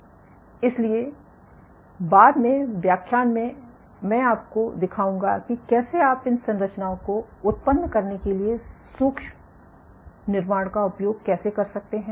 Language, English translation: Hindi, So, later in lectures I will show you how you can make use a micro fabrication to generate these structures